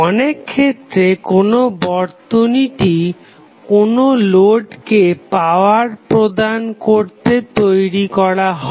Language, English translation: Bengali, So, in many situation the circuit is designed to provide the power to the load